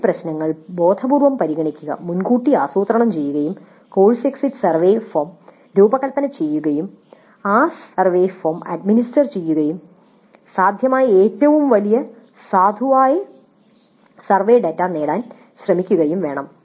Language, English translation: Malayalam, So it is necessary to consider these issues consciously plan ahead and design the course exit survey form as well as administer that survey form and try to get data which is to the greatest extent possible valid survey data